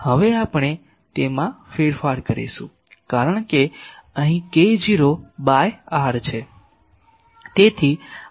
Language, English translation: Gujarati, Now, we will modify it because here k not by r terms